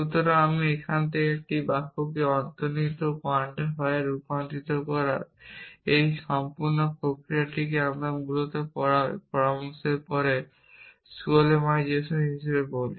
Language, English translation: Bengali, So, this entire process of converting a sentence into implicit quantifier from now it is we call it as skolemization after this suggestions skolem essentially